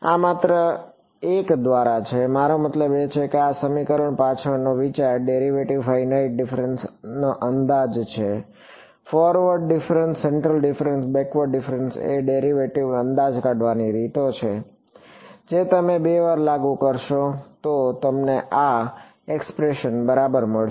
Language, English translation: Gujarati, This is just by a I mean the idea behind this equation is finite difference approximation of a derivative; forward difference, central difference, backward different those are ways of approximating a derivative you applied two times you get this expression ok